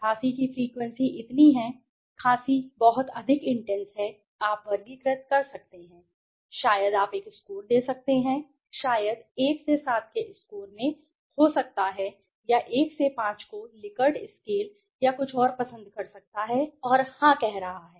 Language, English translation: Hindi, The intensity of the coughing so is the coughing very highly intensive you can categorize maybe you can give a score to that, may be in a score of maybe 1 to 7 or 1 to 5 like in a Likert scale or something and is saying yes